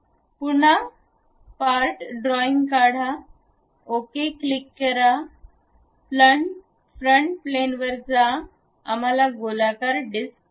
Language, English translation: Marathi, Again part drawing, click ok, go to frontal plane, we would like to have a circular disc